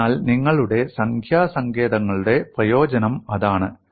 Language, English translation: Malayalam, So that is the advantage of your numerical techniques